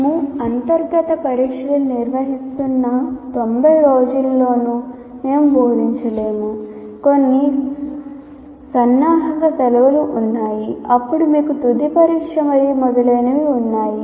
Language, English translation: Telugu, We are conducting internal tests, there are some preparatory holidays, then you have final examination and so on